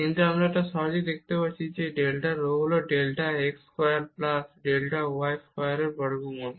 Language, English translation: Bengali, But this we can easily see because this delta rho is the square root of delta x square plus delta y square